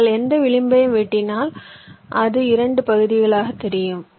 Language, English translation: Tamil, if you cut any edge, it will divide that it up into two parts